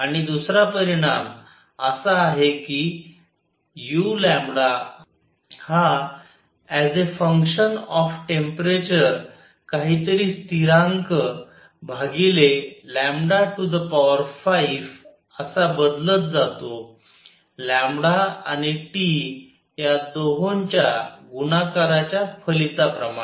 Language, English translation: Marathi, And a second result is that u lambda as a function of temperature varies as some constant divided by lambda raise to 5 times a function of the product lambda and T